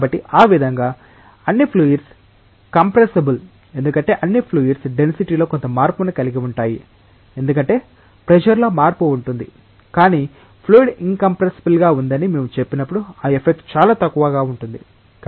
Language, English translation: Telugu, So in that way, all fluids are compressible right because all fluids will have some change in density, because of change in pressure, but when we say that a fluid is incompressible what we mean is that, that effect is negligibly small